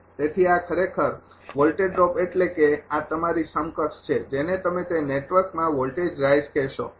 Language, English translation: Gujarati, So, this is actually voltage drop mean this is equivalent to your; what you call the voltage raise in that network